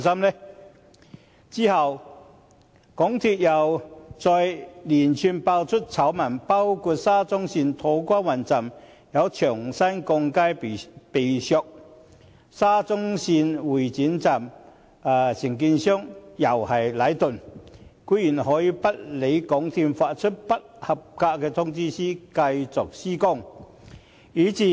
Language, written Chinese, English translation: Cantonese, 其後，港鐵公司再接連爆出醜聞，包括沙中線土瓜灣站有牆身鋼筋被削，沙中線會展站承建商同樣是禮頓，他們居然可以不理港鐵公司發出的不合格通知書，繼續施工。, A series of scandals surrounding MTRCL were subsequently disclosed including steel bars in a wall at To Kwa Wan Station of SCL being shaved thin and the contractor of Exhibition Centre Station of SCL which is likewise Leighton surprisingly ignored the non - conformance report issued by MTRCL and continued with the construction work